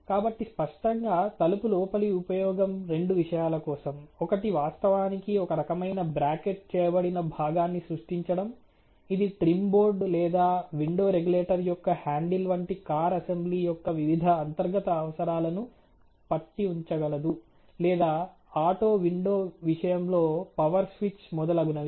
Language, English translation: Telugu, So obviously, the purpose of the door inner is two folds; one is to actually create you know some kind of a bracketed component, which can hold the various interior requirements of the car assembly like the trim board you know or may be the window regulator handle or in case of an auto window, the power switch so on so forth